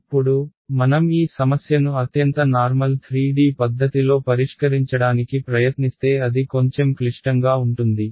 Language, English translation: Telugu, Now, if I try to solve this problem in the most general 3d way it is going to be a little bit complicated